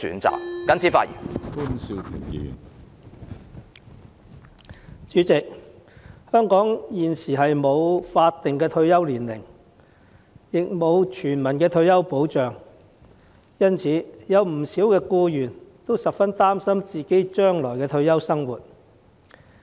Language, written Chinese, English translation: Cantonese, 主席，香港現時不設法定退休年齡，亦沒有全民退休保障，因此，不少僱員也十分擔心將來的退休生活。, President in Hong Kong there is neither a statutory retirement age nor universal retirement protection presently . Hence many employees are very much worried about their retirement life in future